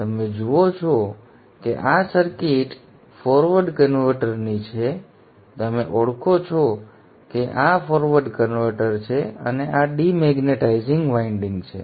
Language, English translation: Gujarati, You recognize that this is the forward converter and this is the demagnetizing winding